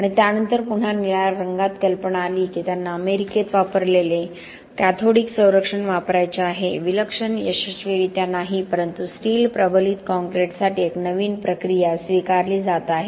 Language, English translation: Marathi, And subsequently again out of the blue came the idea that they wanted to use cathodic protection that was used in America, not fantastically successfully but there was a new process that was being adopted for, for steel reinforced concrete